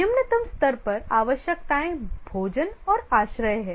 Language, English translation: Hindi, At the lowest level the requirements are food, shelter